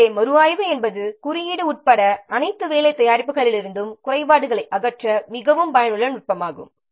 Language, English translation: Tamil, So, review is a very effective technique to remove defects from all work products even if including code